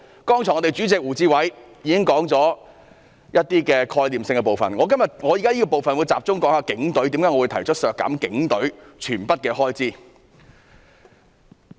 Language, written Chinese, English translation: Cantonese, 剛才我的黨主席胡志偉議員已經提到概念的部分，我現時會集中討論為何要削減警隊的全數開支。, The Chairman of my political party WU Chi - wai has just talked about part of the concept and now I will focus on the reasons for cutting all the expenditure of the Police Force